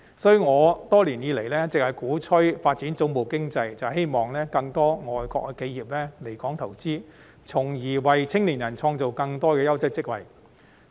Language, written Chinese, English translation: Cantonese, 所以，我多年以來一直鼓吹發展總部經濟，正是希望更多外國企業來港投資，從而為青年人創造更多優質職位。, With that in mind I have been advocating the development of headquarters economy over the years hoping that more quality job opportunities will be created for young people when more foreign enterprises come to invest in Hong Kong